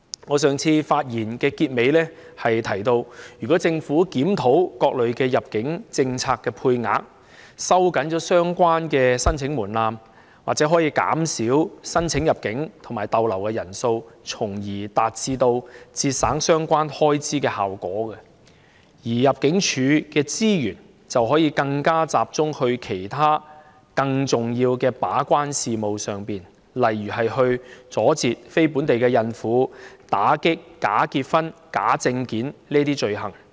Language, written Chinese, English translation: Cantonese, 我在上次發言的結尾部分提到，如果政府檢討各類入境政策的配額，收緊相關申請門檻，或可減少申請入境和逗留的人數，從而達致節省相關開支的效果，而入境處的資源亦可以更加集中為其他更重要的事務把關，例如阻截非本地孕婦入境、打擊假結婚和假證件等罪行。, As mentioned in the ending part of my previous speech if the Government reviews the quotas of various immigration policies tightens the relevant thresholds for application the number of people applying for entry to and stay in Hong Kong may probably be reduced . This will in turn make a saving on the relevant expenditures and allow ImmD to concentrate its resources on performing its gate - keeping role in other important matters such as stopping non - local pregnant women from entering Hong Kong and combating crimes like bogus marriage and forgery of identification documents